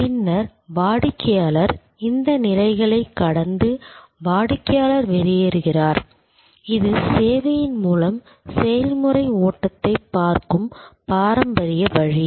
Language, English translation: Tamil, And then, the customer goes through these stages and customer exits, this is the traditional way of looking at process flow through the service